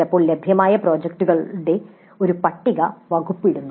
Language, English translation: Malayalam, Sometimes the department puts up a list of the projects available